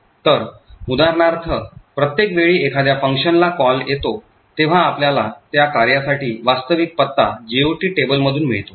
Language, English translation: Marathi, So, for example every time there is call to a function, we could get the actual address for that particular function from the GOT table